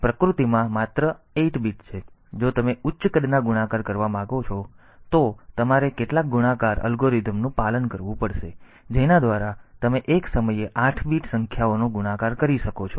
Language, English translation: Gujarati, So, if you want a higher size multiplication then you have to follow some multiplication algorithm by which you can multiply 8 bit numbers at a time